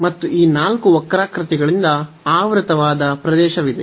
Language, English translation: Kannada, So, the region bounded by all these 4 curves is this one